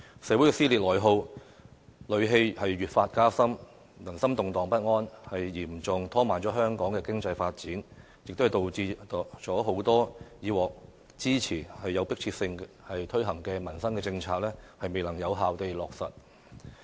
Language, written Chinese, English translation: Cantonese, 社會的撕裂內耗和戾氣越發加深，人心動盪不安，嚴重拖慢了香港經濟發展，也導致了很多以前有迫切性推行的民生政策未能有效地落實。, Social cleavage internal attrition and hostility have aggravated . There is a sense of restlessness among people which have seriously slowed down the economic development of Hong Kong . Besides they have prevented the effective implementation of urgent policies on public livelihood